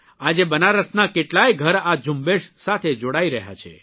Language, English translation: Gujarati, Today many homes inBenaras are joining this campaign